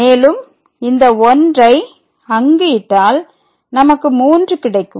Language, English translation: Tamil, So, this is 1 and which is equal to the